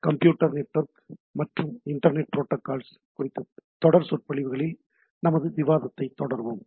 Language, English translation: Tamil, So, we’ll be continuing our discussion on Computer Network and Internet Protocols series of lectures